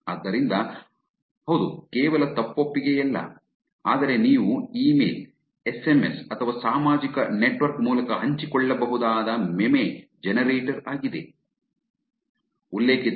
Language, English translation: Kannada, So, yes is not just a confessional, but it is meme generator which you can share via email, SMS or social